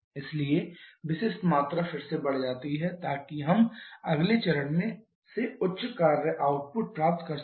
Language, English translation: Hindi, So, the specific volume again increases so we can get higher work output from the next stage